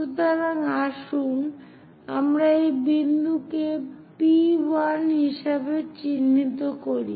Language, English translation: Bengali, So, let us label this point as P 1